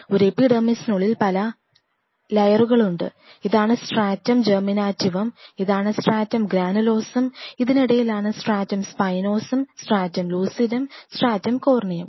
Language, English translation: Malayalam, And within an epidermis the layers are this is stratum Germinativum stratum this one is Stratum Granulosum in between is Stratum Spinosum, Stratum Lucidum, and Stratum Corneum